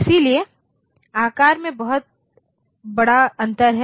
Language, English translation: Hindi, So, size there is a huge difference